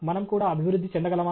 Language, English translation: Telugu, Can we also improve